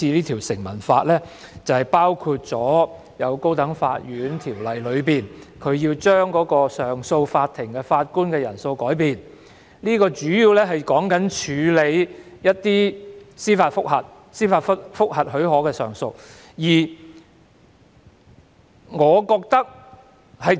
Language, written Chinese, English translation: Cantonese, 《條例草案》提出的建議，包括修訂《高等法院條例》，將上訴法庭的法官人數改變，主要針對處理某些司法覆核許可的上訴。, The proposals set out in the Bill include amending the number of judges on the bench of the Court of Appeal mainly responsible for handling appeals against decisions on leave for judicial review